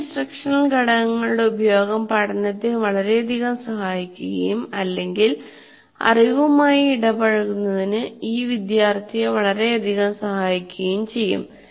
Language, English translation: Malayalam, Certain use of instructional components will greatly facilitate learning or greatly facilitate the student to get engaged with the knowledge